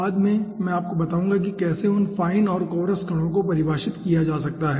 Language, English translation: Hindi, later on i will tell you how those fine and coarseness can be defined